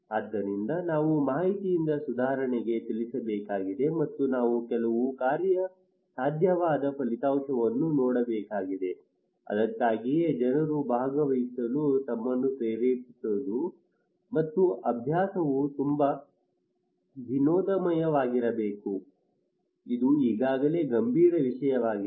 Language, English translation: Kannada, So we need to move from information to improvement and we need to also see some feasible outcome, that is why people can motivate themselves to participate, and the exercise should be a lot of fun it is already a serious matter